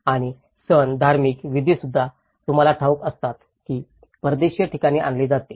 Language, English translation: Marathi, And even the festivals, the rituals, you know the religious belonging is also brought in a foreign place